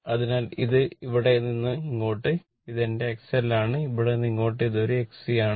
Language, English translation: Malayalam, So, this thing from here to here , from here to here right, from here to here this is my X L and from here to here this is an X C